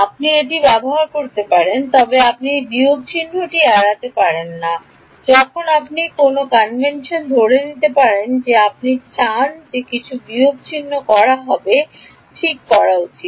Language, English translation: Bengali, You can use the same, but you will not escape this minus sign issue when you you can assume any other convention you want you will run into some minuses that have to be fixed ok